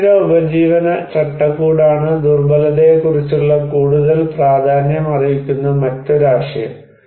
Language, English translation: Malayalam, There is another more prominent and very popular conceptual idea of vulnerability is the sustainable livelihood framework